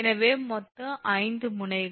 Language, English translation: Tamil, so here it is five total nodes and how many